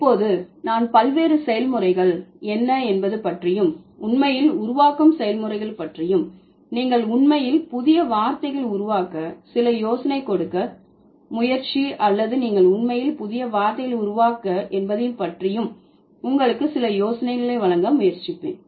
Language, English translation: Tamil, So, now I will, I'll try to, I'll try to give you some idea that what are the different processes by which you actually create or you actually sort of form new words or even the existing words how you are changing it